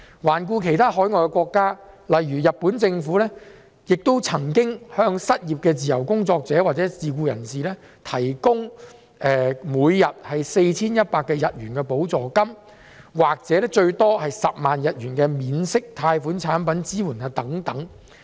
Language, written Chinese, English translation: Cantonese, 環顧海外其他國家，例如日本，政府也曾向失業的自由工作者或自僱人士提供每天 4,100 日元的補助金，或最多10萬日元的免息貸款產品以作支援。, Let us take a look at other countries . For example in Japan the Government has provided a daily subsidy of ¥4,100 or an interest - free loan up to ¥10,000 to support jobless freelancers or self - employed people